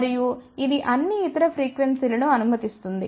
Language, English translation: Telugu, And it will pass all the other frequency